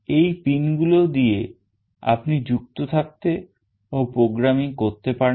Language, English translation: Bengali, These are the pins through which you can connect and you can do programming with